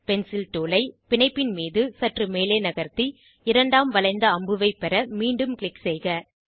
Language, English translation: Tamil, Shift the Pencil tool a little on the bond, click again to get second curved arrow